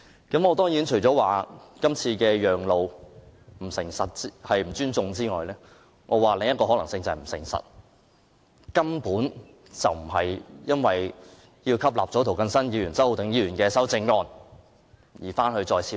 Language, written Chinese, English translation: Cantonese, 我除了認為政府今次讓路是不尊重議會之外，另一個可能是它不誠實，根本不是為了吸納涂謹申議員和周浩鼎議員的修正案再作處理。, In my view apart from not respecting this Council the Governments current act of asking us to give way shows that it is not honest . The Government postpones the scrutiny of the Bill not for incorporating the amendments of Mr James TO and Mr Holden CHOW